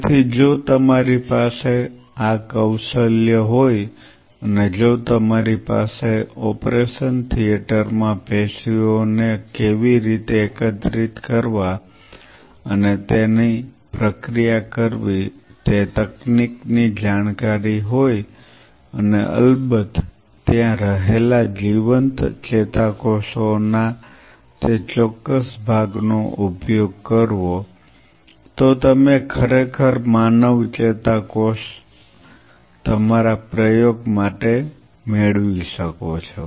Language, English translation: Gujarati, So, if you have this skill set and if you have the technical know how to collect that tissue from the operation theater and process it and of course, use that particular part of the live neurons which are present there you actually can have a human neuron culture on a dish